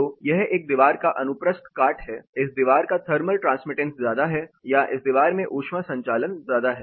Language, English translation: Hindi, So, this is a wall cross section again, this wall has a high thermal transmittance or highly conducting wall